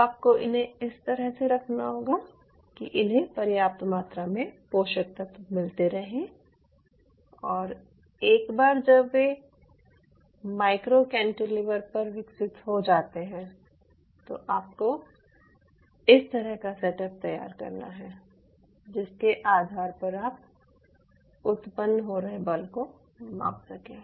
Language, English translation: Hindi, now you have to place it in such a way that you allow sufficient medium to cover it so that these cells get enough nutrients to grow and, once they are form, on top of the micro cantilever, you have to a range as setup, by virtue of which you can measure the force which are being generated